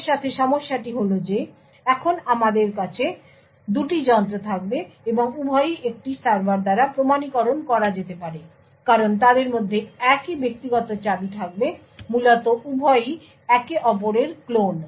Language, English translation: Bengali, The issue with this is that now I would have two devices, and both can be authenticated by the same server because they would have the same private key in them, essentially both are clones of each other